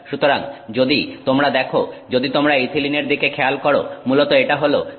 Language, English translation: Bengali, So, if you see, if you look at ethylene, it is basically C2H4